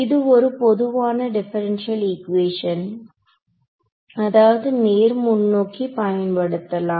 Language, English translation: Tamil, So, this is the sort of a general differential equation which is used many times fairly straight forward